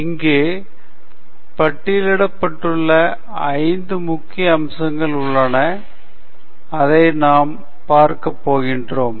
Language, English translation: Tamil, You can see here there are five major aspects that are listed and so that’s what we are going to cover